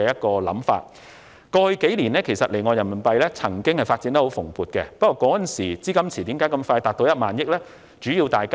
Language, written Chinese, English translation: Cantonese, 過去數年，離岸人民幣業務曾經發展得十分蓬勃，但為何當時的資金池這麼快便達到1萬億元？, Offshore RMB business has been booming over the past few years but why did the RMB deposit pool reach 1 trillion so quickly then?